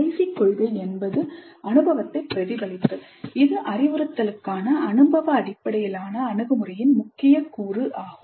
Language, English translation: Tamil, Then the last principle is reflecting on the experience, a key, key element of experience based approach to instruction